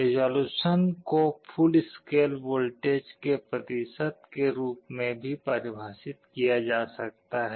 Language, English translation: Hindi, Resolution can also be defined as a percentage of the full scale voltage